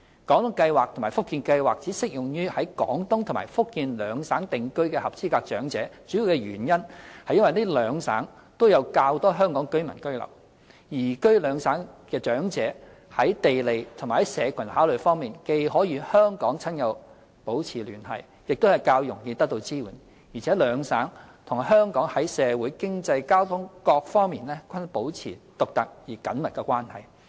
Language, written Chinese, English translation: Cantonese, "廣東計劃"及"福建計劃"只適用於在廣東和福建兩省定居的合資格長者，主要原因是廣東和福建兩省都有較多香港居民居留，移居廣東和福建兩省的長者在地利和社群考慮方面，既可與香港親友保持聯繫，亦較容易得到支援，而且廣東和福建兩省與香港在社會、經濟、交通等各方面均保持獨特而緊密的關係。, The main reason is that there are relatively more Hong Kong residents settling in these two provinces . In terms of geographical proximity and community bonding elderly persons moving to Guangdong and Fujian not only can maintain a close connection with their relatives and friends in Hong Kong but also can obtain support more readily . What is more the two provinces are uniquely and closely connected with Hong Kong on the social economic and transport fronts